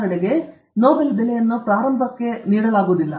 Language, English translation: Kannada, For example, Nobel price is not given to upstarts